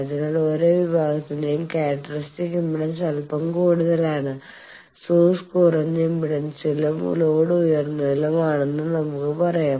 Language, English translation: Malayalam, So, characteristic impedance of each section is slightly higher than the; let us say source is at lower impedance and load at higher